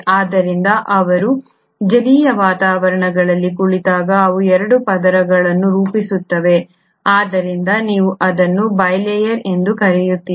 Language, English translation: Kannada, So it is almost like when they are sitting in an aqueous environment they end up forming 2 layers, that is why you call it as a bilayer